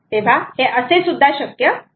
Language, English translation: Marathi, so that is also possible